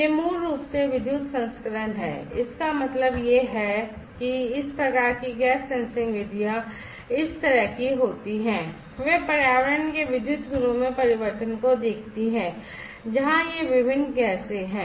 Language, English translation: Hindi, These one’s basically are the electrical variants; that means, that these type of gas sensing methods like this one’s, they look at the change in the electrical properties of the environment where these different gases are